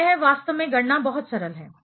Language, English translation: Hindi, So, it is actually calculation is very simple